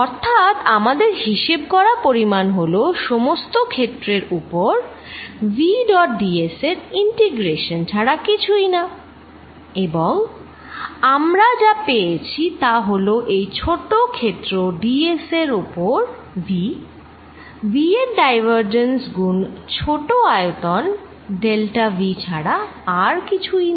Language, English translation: Bengali, So, what the quantity we have calculated is this, it actually calculated this quantity which is nothing but v dot ds integrated over the entire area, and what we have found is that v on this is small area ds is nothing but equal to divergence of v times small volume delta v